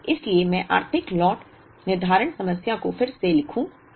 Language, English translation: Hindi, So, let me write the Economic Lot Scheduling problem again